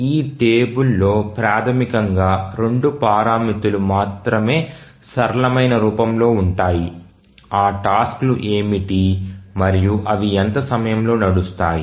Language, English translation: Telugu, This table basically contains only two parameters in the simplest form that what are the tasks and what are the time for which it will run